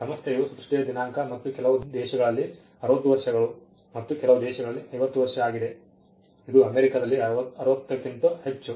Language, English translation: Kannada, Institution the date of creation plus 60 years in some places in some countries it is 50 in some countries, it is more than 60 in America its more than that